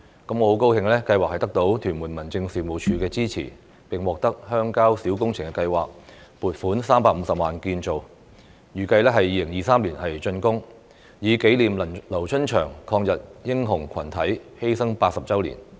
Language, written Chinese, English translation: Cantonese, 我很高興計劃得到屯門民政事務處的支持，並獲得鄉郊小工程計劃撥款350萬元建造，預計2023年竣工，以紀念"劉春祥抗日英雄群體"犧牲80周年。, I am pleased that the Tuen Mun District Office supported the project and has allocated 3.5 million from the Rural Public Works Programme for its construction . The monument is expected to be completed in 2023 to commemorate the 80th anniversary of the sacrifice of the LIU Chunxiang Anti - Japanese War Hero Group